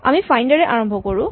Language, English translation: Assamese, So, we start with find